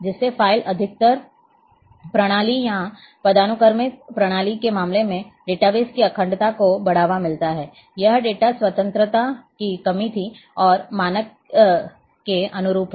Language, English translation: Hindi, There promotes database integrity in case of file based system or hierarchical system this was lacking data independence is there and conformance of standard